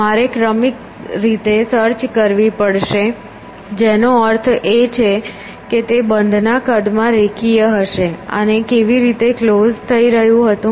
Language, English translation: Gujarati, I would have to sequentially search which would mean it would be linear in the size of closed and how was closed going